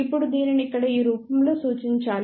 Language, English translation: Telugu, Now, this has to be represented in this form here